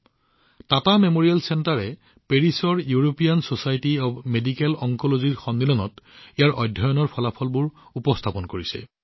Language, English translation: Assamese, The Tata Memorial Center has presented the results of its study at the European Society of Medical Oncology conference in Paris